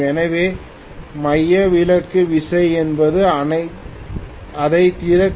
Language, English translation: Tamil, So centrifugal force is something will open it